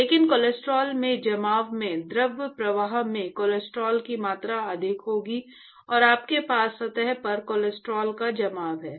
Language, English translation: Hindi, But in the deposition of cholesterol, the cholesterol concentration will be higher in the fluid stream and you have deposition of cholesterol on the surface ok